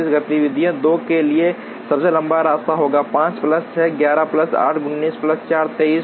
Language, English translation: Hindi, For activity 2 the longest path will be 5 plus 6, 11 plus 8, 19 plus 4, 23